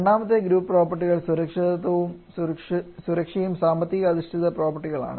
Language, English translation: Malayalam, Second group of properties are the safety and economic phase properties